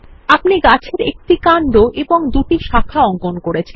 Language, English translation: Bengali, You have drawn a tree trunk with two branches